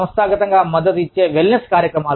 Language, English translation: Telugu, Organizationally supported wellness programs